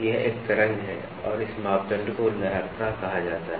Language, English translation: Hindi, This is a wave and this parameter is called as waviness